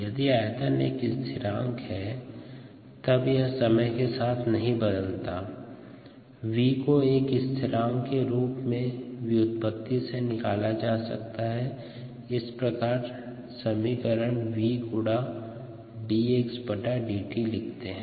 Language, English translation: Hindi, if volume is a constant, the ah, it's not going to change with time and therefore v can be taken out is a constant here of out of out of this derivative and therefore it becomes v times d x d t